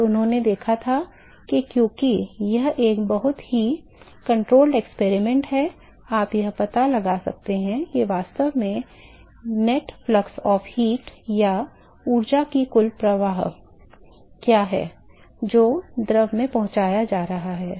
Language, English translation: Hindi, So, what he observed is that, because it is a very controlled experiment, you can find out what is the net flux of heat that was actually or net flux of energy that was transported to the fluid